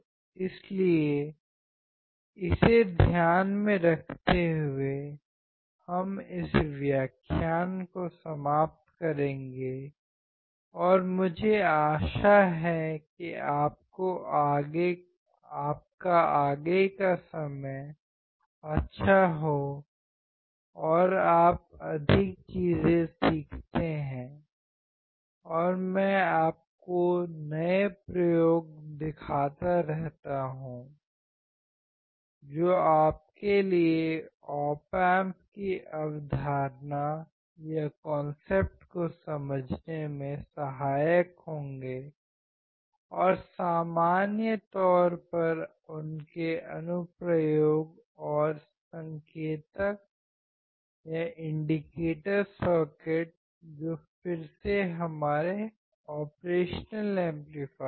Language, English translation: Hindi, So, keeping this in mind, we will finish this lecture and I hope that you have a good time ahead and you learn more things and I keep on showing you new experiments which would be helpful for you to understand the concept of op amps and in general their applications and the indicator circuit which is again our operation amplifier